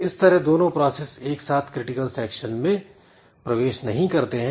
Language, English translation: Hindi, So, what is happening is that simultaneously both the processes are not entering into critical section